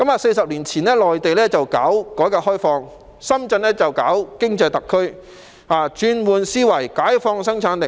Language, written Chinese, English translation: Cantonese, 四十年前，內地進行改革開放，深圳則發展經濟特區，轉換思維，解放生產力。, Forty years ago following the reform and opening up of the Mainland Shenzhen was developed into a special economic zone with an overhaul of its conventional mindset and the liberation of its productivity